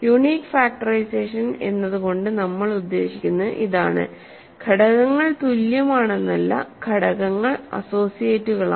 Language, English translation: Malayalam, So, this is exactly what we mean by unique factorization, not quite that elements are equal but elements are associates